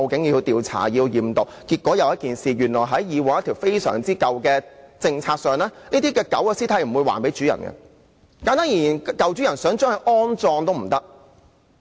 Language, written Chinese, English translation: Cantonese, 結果出現一個問題：原來根據一項非常古老的政策，這些狗的屍體不會歸還飼主；簡單而言，飼主想將狗隻安葬也不可。, After all the procedures a problem emerged . You know under a very antiquated policy the dead body of the dog will not be returned to its owner . Put simply even though the owner wanted to inter her dog she could not do so